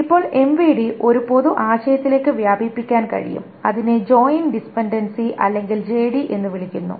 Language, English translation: Malayalam, Now the mv can be extended to a general concept which is called the join dependency or JD